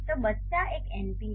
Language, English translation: Hindi, So the child is an an np